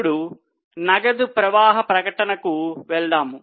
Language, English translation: Telugu, Now, let us go to cash flow statement